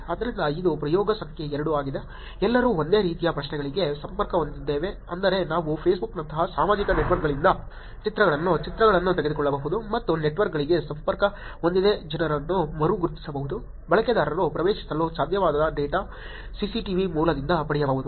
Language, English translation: Kannada, So this is the experiment number 2; all connecting to the same questions which is can we actually take images, pictures from these social networks like Facebook and re identify people who connected to networks, to data where users cannot get in from, CCTV source in